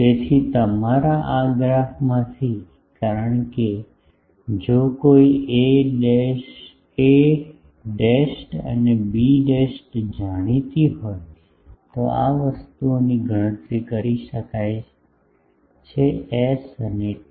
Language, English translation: Gujarati, So, from this graphs from your because if a dashed and b dashed are known these things can be calculated s and t